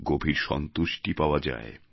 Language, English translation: Bengali, It gives you inner satisfaction